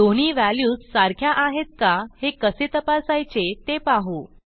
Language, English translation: Marathi, Now let us see how to check if a value is equal to another